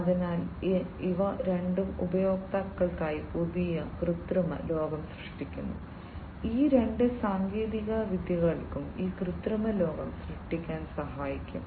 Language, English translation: Malayalam, So, both of these they create new artificial world for the users, both of these technologies can help create this artificial world